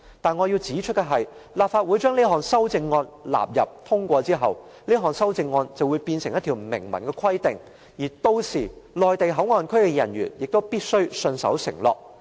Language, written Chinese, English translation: Cantonese, 但是，我要指出的是，若立法會把這項修正案納入《條例草案》並予以通過，這項修正案便會成為明文規定，屆時內地口岸區的人員亦必須信守承諾。, However I need to point out that if the Legislative Council incorporates this amendment into the Bill and passes it it will become a written requirement which must be fulfilled by the officers in MPA then